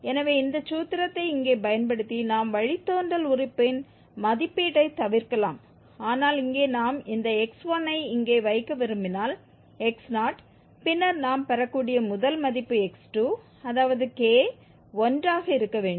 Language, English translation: Tamil, So using this formula here we can avoid the, we can avoid the evaluation of the derivative term but here we need for instance to get this x1, if we want to put here x0, then, so the first value we can get, that is x2